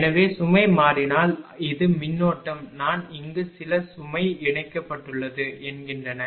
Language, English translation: Tamil, So, if the load changes this is the current I some load is connected here say